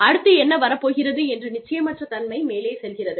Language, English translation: Tamil, The uncertainty about, what is to come next, goes up